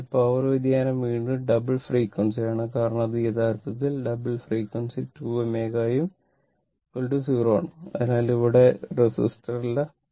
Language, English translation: Malayalam, So, power variation is again double frequency because, this is actually double frequency 2 omega right and is equal to 0 because there is no resistor there